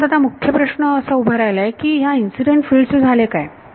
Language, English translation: Marathi, So, the main question now, that has that has come about is what happened to the incident field